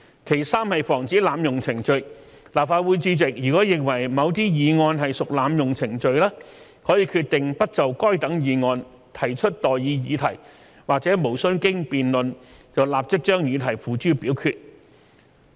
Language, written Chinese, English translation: Cantonese, 其三，防止濫用程序，立法會主席如認為某些議案屬濫用程序，可以決定不就該等議案提出待議議題或無須經辯論立即將議題付諸表決。, Thirdly an abuse of procedure can be prevented . Where the President is of the opinion that the moving of a motion is an abuse of procedure he may decide not to propose the question or to put the question forthwith without debate